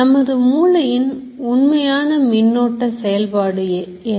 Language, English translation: Tamil, What is this actual electrical activity in the brain